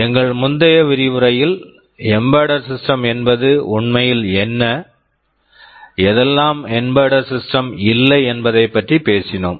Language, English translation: Tamil, In our previous lecture, we talked about what an embedded system really is and what it is not